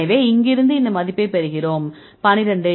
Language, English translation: Tamil, So, from here, we get this value 12